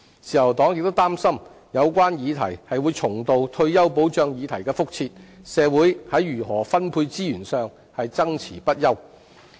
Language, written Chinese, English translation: Cantonese, 自由黨亦擔心有關議題會重蹈退休保障議題的覆轍，令社會在如何分配資源上爭論不休。, The Liberal Party is also worried that it will be a repeat of the retirement protection issue causing endless disputes over the allocation of resources in the community